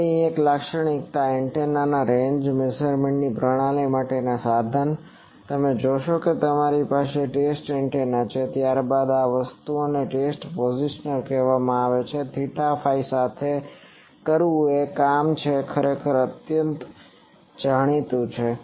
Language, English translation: Gujarati, Now instrumentation for a typical antenna range measuring system here, you see you have a test antenna then this thing is called test positioner, it is job is to rotate along the theta phi actually the distance is known